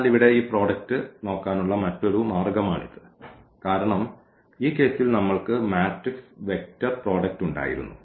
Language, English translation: Malayalam, So, this is another way of looking at this product here because, in this case we had the matrix vector product